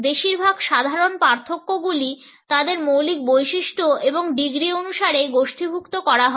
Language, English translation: Bengali, Most typical differentiations are grouped according to their basic characteristic and by degrees